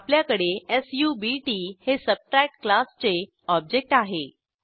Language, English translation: Marathi, Then we have subt object of class Subtract